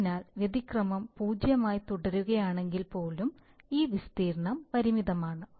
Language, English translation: Malayalam, So this area, even if the error remains 0, this area remains finite